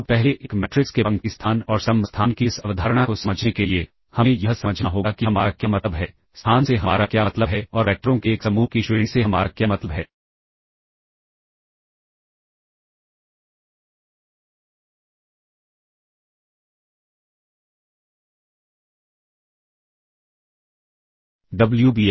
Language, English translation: Hindi, Now to first understand this concept of a row space and column space of a matrix, we have to understand what we mean by, what we mean by the space and what we mean by the rank of a set of vectors